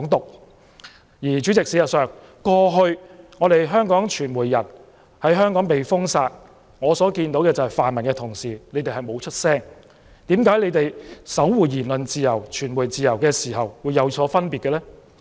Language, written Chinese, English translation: Cantonese, 代理主席，事實上，香港傳媒人過去被封殺，泛民同事沒有發聲，為何他們守護言論自由、新聞自由的態度會有所分別呢？, In fact Deputy President in previous cases where Hong Kong media workers were banned pan - democrats failed to voice their support for them . Why do they adopt different attitudes towards safeguarding freedom of speech and freedom of the press?